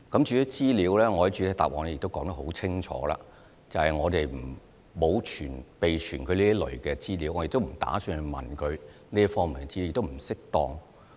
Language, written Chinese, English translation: Cantonese, 至於資料方面，我在主體答覆說得很清楚，便是我們沒有備存這類資料，我亦不打算向他們查問這方面的資料，這是不適當的。, With regard to the information I have pointed out in the main reply clearly that we have not maintained this kind of information and we have no intention to enquire with UGs about such information as it is not appropriate to do so